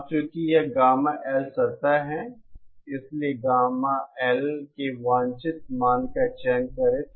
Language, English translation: Hindi, Now, since this is the gamma L plane, select the desired value of gamma L